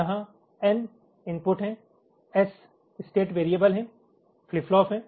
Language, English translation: Hindi, there are n number of inputs, there are s number of state variables, flip flops